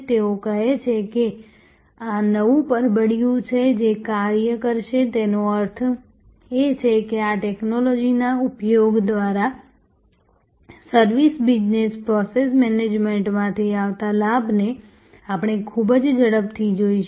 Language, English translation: Gujarati, They are saying that this is the new envelop which will operate; that means very rapidly we will see the advantage coming from the service business process management by use of these technologies